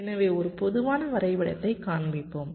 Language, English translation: Tamil, so let us show a typical diagram